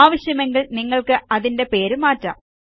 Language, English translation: Malayalam, You may rename it if you want to